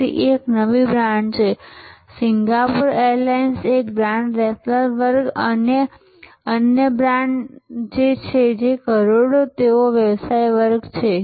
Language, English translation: Gujarati, So, it is a new brand Singapore airlines is a brand raffles classes another brand, which crores they are business class